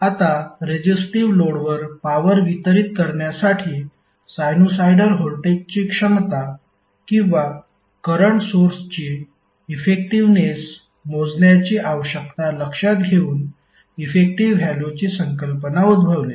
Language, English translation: Marathi, Now the idea of effective value arises from the need to measure the effectiveness of a sinusoidal voltage or current source and delivering power to a resistive load